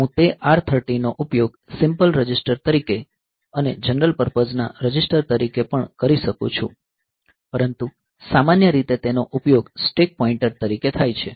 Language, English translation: Gujarati, So, I can use that R 13 as simple register also as general purpose register also, but in general it is used as stack pointer